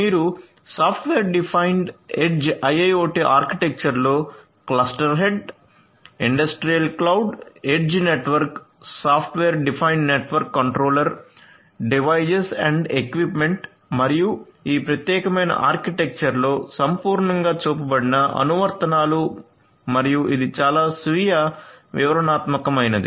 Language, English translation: Telugu, So, you are going to have in the software defined edge IIoT architecture different components such as the cluster head, industrial cloud, edge network, software defined network controller, devices and equipments and these applications which holistically has been shown in this particular architecture and this is quite self explanatory so, I do not need to go through each of these different components in further detail